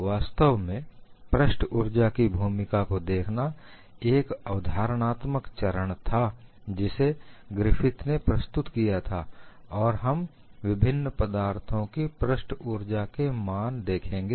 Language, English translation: Hindi, In fact, looking at the role of surface energy was a conceptual step put forward by Griffith and we will look at the values of surface energies for a variety of material